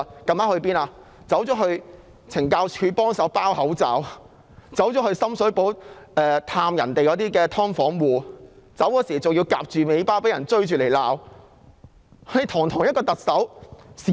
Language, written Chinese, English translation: Cantonese, 她到了懲教署協助包口罩，又前去深水埗探訪"劏房戶"，離去時更被人追罵，落荒而逃。, She went to CSD to assist with packaging masks and visited residents living in a subdivided unit in Sham Shui Po . On leaving she was even hounded by people who lashed out at her and she had to flee the scene